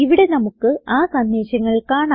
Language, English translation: Malayalam, We can see the messages here